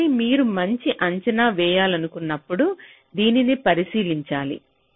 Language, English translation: Telugu, so when you want to make a good estimate, we will have to look into this